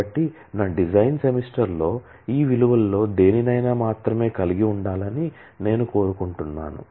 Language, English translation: Telugu, So, I want that in my design semester must have any of these values only